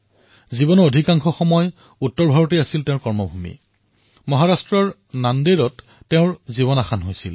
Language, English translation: Assamese, For most of his life, his work was centred in North India and he sacrificed his life in Nanded, Maharashtra